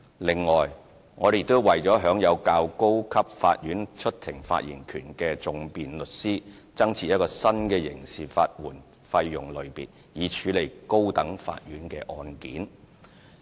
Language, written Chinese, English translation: Cantonese, 此外，我們亦為享有較高級法院出庭發言權的訟辯律師，增設一個新的刑事法援費用類別，以處理高等法院的案件。, Furthermore we have introduced a new category of criminal legal aid fees for High Court cases for solicitor advocates with higher rights of audience